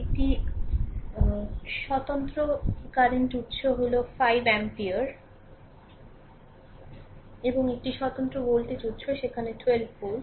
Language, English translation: Bengali, And one independent current source is there this is 4 ampere and one independent voltage source is there that is 12 volt right